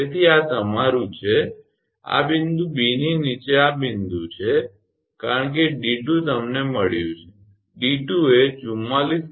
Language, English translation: Gujarati, So, this is your this point below point B because d 2 you got, d 2 44